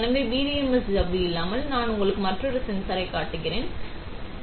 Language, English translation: Tamil, So, without the PDMS membrane, I am showing you another sensor, ok